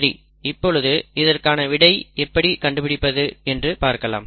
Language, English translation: Tamil, So let us look at how to solve this